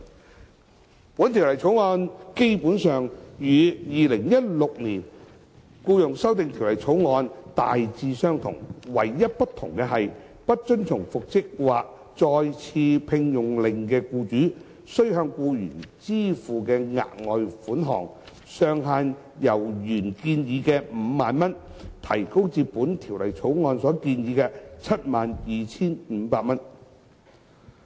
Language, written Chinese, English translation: Cantonese, 《2017年僱傭條例草案》基本上與《2016年條例草案》大致相同，唯一不同的是，不遵從復職或再次聘用令的僱主須向僱員支付的額外款項上限，由原建議的 50,000 元提高至《條例草案》所建議的 72,500 元。, The Employment Amendment Bill 2017 the Bill is essentially the same as the 2016 Bill except for increasing the ceiling of the further sum payable by the employer to the employee for non - compliance with an order for reinstatement or re - engagement from the originally proposed 50,000 to 72,500 as proposed in the Bill